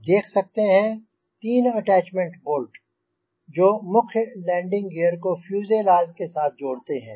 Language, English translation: Hindi, so you can see the three attachment bolts which attach the main landing gear to the fuselage